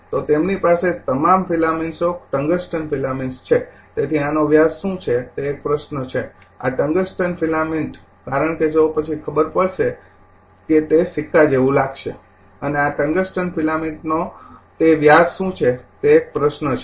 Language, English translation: Gujarati, So, they have all the filaments tungsten filaments say so, a question to what is the diameter on this, your this tungsten filament because if you see then you will find it is look like a coin right and what is that your diameter of this tungsten filament this is a question to you